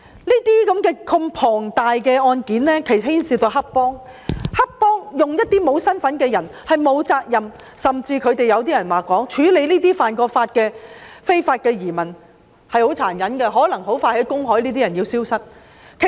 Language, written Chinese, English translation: Cantonese, 如此龐大的案件牽涉到黑幫，他們利用一些沒有身份證、不用負上責任的人士犯案，甚至有人說，黑幫處理這些曾犯法的非法移民很殘忍，這些人可能很快就消失於公海。, Cases of such magnitude often involve triad gangs . They use people with no identity cards to commit crimes so that they do not need to bear responsibility . Some people even say that triad members use very cruel means to get rid of the illegal immigrants who have committed crimes